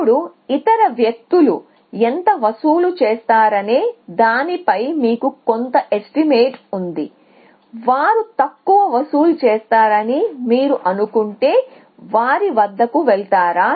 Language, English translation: Telugu, Now, there you have some estimate of how much the other people will charge, will they will you go to them if you think they charge less or will you go to them if you think they charge more than 10000